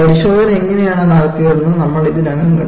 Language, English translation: Malayalam, We have already seen how the test was performed